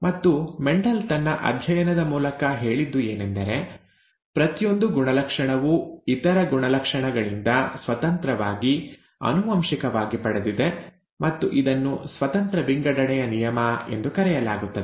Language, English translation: Kannada, And what Mendel said through his studies was that each character is inherited independent of the other characters, and this is called the law of independent assortment